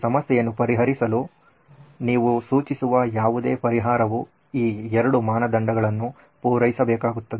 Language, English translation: Kannada, Any solution that you suggest to solve this problem has to satisfy both these criteria